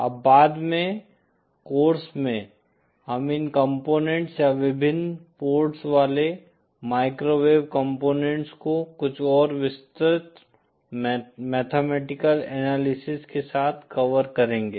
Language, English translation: Hindi, Now later on in the course, we will of course cover these components or various microwave components of different number of ports with some more detailed mathematical analysis